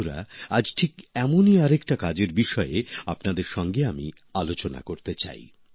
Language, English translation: Bengali, Friends, I would like to discuss another such work today